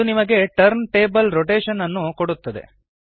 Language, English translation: Kannada, That gives us turntable rotation